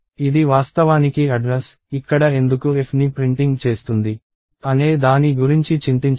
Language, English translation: Telugu, So, this is actually an address, do not worry about why it is printing f and so on